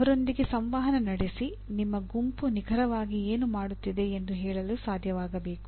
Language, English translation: Kannada, One should be able to communicate to them what exactly your group is doing